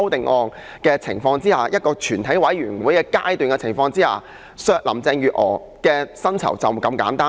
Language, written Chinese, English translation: Cantonese, 我們要在全體委員會審議階段提出修正案削減林鄭月娥的薪酬，就是這麼簡單。, Only he would make remarks like tipping the Chief Executive . We want to propose an amendment in the Committee stage to slash the salary of Carrie LAM . It is as simple as that